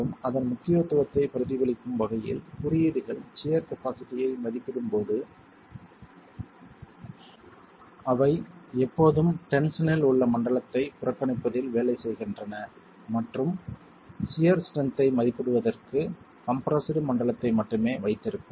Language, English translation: Tamil, And to reflect the importance of it, I'll just show you that codes when they look at estimating the shear capacity always work on, always work on neglecting the zone in tension and keep only the compressed zone to estimate the shear strength of a wall